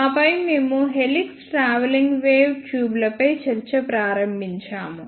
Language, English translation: Telugu, And then we started discussion on helix travelling wave tubes